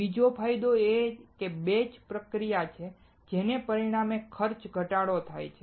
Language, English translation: Gujarati, Second advantage is batch processing resulting in cost reduction